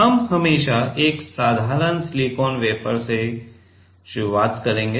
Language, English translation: Hindi, We will we always start with a simple silicon wafer